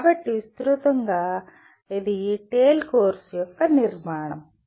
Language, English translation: Telugu, So broadly that is the structure of the course TALE